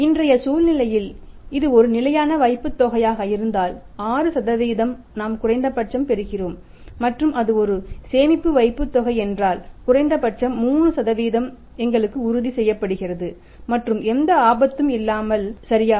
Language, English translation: Tamil, And if it is a fixed deposit in today's scenario 26% we are getting minimum and if it is a savings deposit minimum 3% is assured to us and without out any risk right